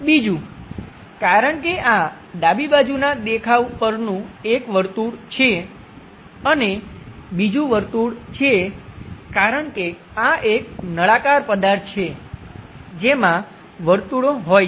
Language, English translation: Gujarati, Second, because this is a circle on the left side view, a circle and another circle because this is a cylindrical object having circles